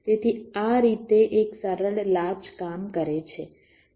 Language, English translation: Gujarati, ok, so this is how a simple latch works